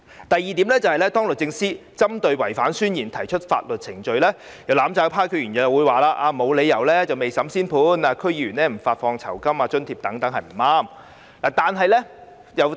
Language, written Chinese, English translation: Cantonese, 第二，對於律政司司長可對違反誓言的人提出法律程序，有"攬炒派"區議員表示沒有理由未審先判，並指停止向區議員發放酬金和津貼等是不對的。, Secondly as regards the proposal for SJ to bring proceedings against any person who is in breach of an oath DC members of the mutual destruction camp said that it is unreasonable for a judgment to be made before trial and it is inappropriate to withhold the remuneration and allowances of a DC member